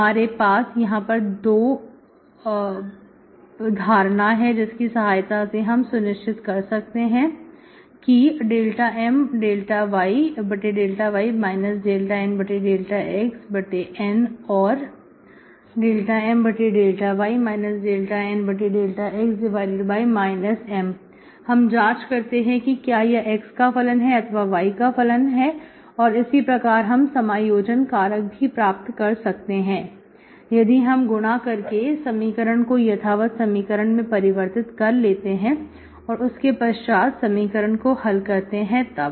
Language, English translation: Hindi, So you have 2 examples where we could check dow M by dow y minus dow N by dow x divided by either N or by minus M, verify whether it is a function of x or function of y and we can get accordingly what is my integrating factor by multiplying that we can make the equation exact and then solve the equation